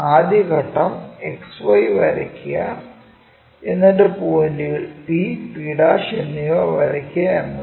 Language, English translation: Malayalam, First step is draw XY line and mark point P and p'